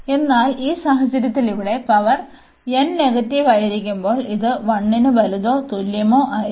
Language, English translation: Malayalam, But, in this case this power here, when n is negative this will be a greater than equal to 1